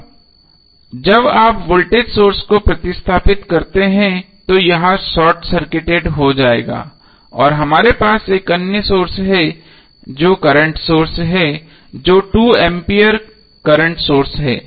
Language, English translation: Hindi, Now when you replace the voltage source it will become short circuited and we have another source which is current source that is 2A current source